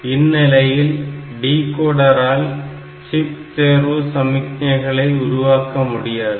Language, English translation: Tamil, So, this decoder will not be able to generate any chip select lines